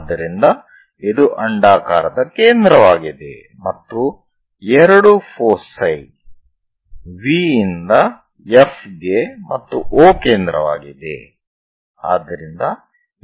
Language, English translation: Kannada, So, this is the centre of that ellipse 2 foci we always be going to have from V to F and O is centre